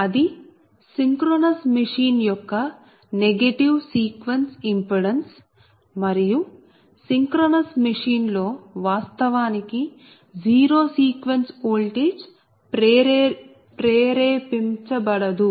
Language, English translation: Telugu, that is, per synchronization, negative sequence impedance and in a synchronous machine actually no zero sequence voltage is induced